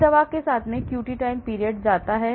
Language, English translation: Hindi, So, this drug along elongates the QT time period